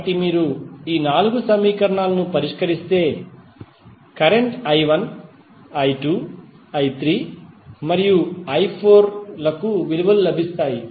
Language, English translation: Telugu, So, you solve these four equations you will get the values for current i 1, i 2, i 3 and i 4